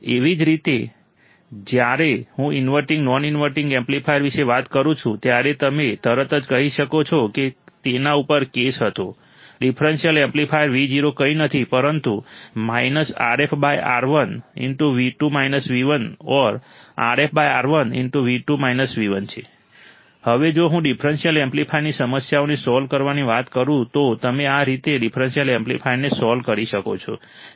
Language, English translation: Gujarati, Similarly, when I talk about inverting, non inverting amplifier, immediately you should be able to say there was a case on it; a differential amplifier Vo is nothing but minus R f by R1 into V 2 minus V 1 or R f by R1 into V 2 minus V 1